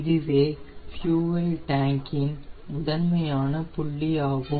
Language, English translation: Tamil, this is the forward point of the fuel tank